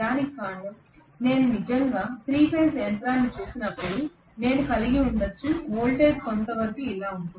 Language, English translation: Telugu, This is only because when I actually look at a single phase machine I may have voltage somewhat like this